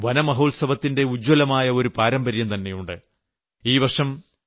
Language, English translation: Malayalam, Gujarat too has an illustrious tradition of observing Van Mahotsav